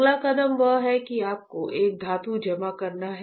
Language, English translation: Hindi, Next step is what you have to deposit a metal, right